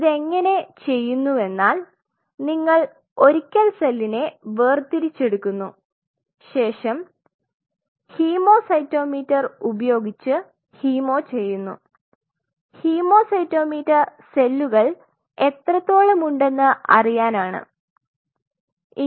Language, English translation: Malayalam, So, how this is being done is once you isolate the cell, then you do a hemo use a hemocytometer, hemo cytometer to quantify the harvest in this case cell